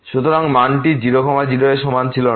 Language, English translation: Bengali, So, the value was not equal at 0 0